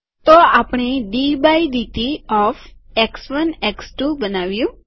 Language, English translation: Gujarati, So we have created d by dt of x1 x2